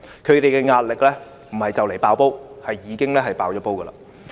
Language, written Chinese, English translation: Cantonese, 他們的壓力不是快將"爆煲"，而是已經"爆煲"。, They are not approaching their pressure limit . They have already exceeded their pressure limit